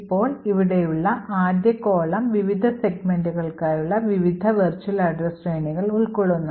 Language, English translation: Malayalam, Now this particular column present here specifies the various virtual address ranges for the various segments